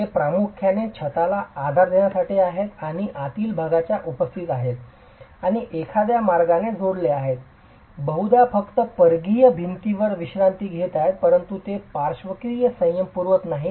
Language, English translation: Marathi, These are primarily to support the roof and are present in the interior and are connected in some way probably just resting onto the peripheral walls but they do not provide any lateral restraint